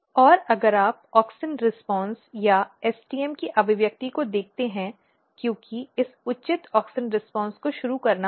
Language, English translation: Hindi, And if you look the auxin response or the expression of STM because this proper auxin response has to be initiated